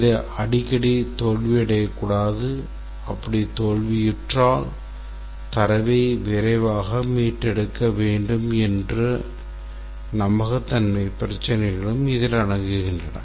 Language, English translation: Tamil, It can also include reliability issues that it should not fail frequently and if it fails should be able to recover the data quickly